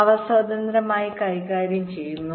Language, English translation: Malayalam, they are handled independently